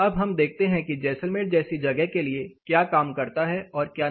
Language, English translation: Hindi, Now let us look at what works and what does not work for a place like Jaisalmer